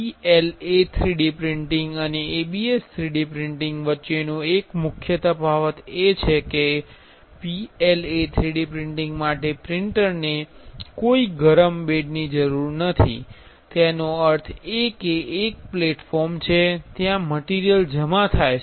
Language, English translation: Gujarati, One major difference between PLA 3D printing and ABS 3D printing is for PLA 3D printing the printer do not need any heat bed; that means, there is a platform where the material is deposited